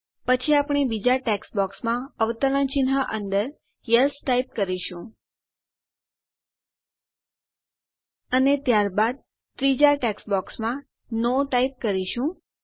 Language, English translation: Gujarati, Next we will type in Yes within double quotes in the second text box And then type in No in the third text box